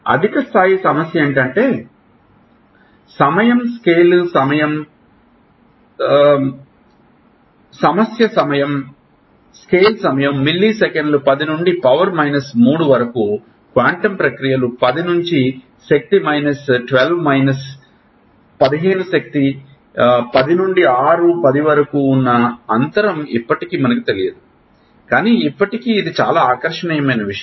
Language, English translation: Telugu, The higher level the problem is that the problem is that the scale time is in milliseconds 10 to the power minus 3, quantum processes happen at 10 to the power minus 12, minus 15, that gap of 10 to the power 6 to 10 to the power 8 is still we do not know, but still it is very very alluring thing